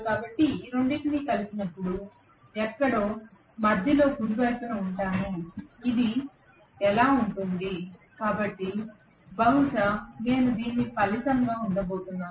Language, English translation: Telugu, So when I add these two together I will have it somewhere in the middle right this is how it will be, so I am going to have probably this as the resultant